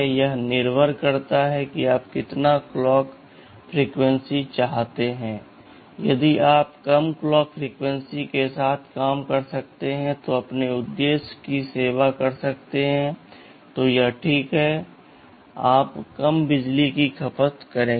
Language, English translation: Hindi, ISo, it depends upon you what clock frequency do you want, if you can operate with a lower clock frequency and serve your purpose it is fine, you will be you will be consuming much lower power